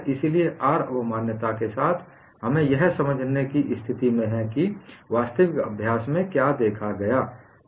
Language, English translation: Hindi, So, with the R curve concept, we are in a position to explain what is observed in actual practice